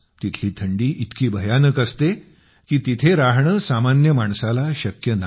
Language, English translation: Marathi, The cold there is so terrible that it is beyond capacity of a common person to live there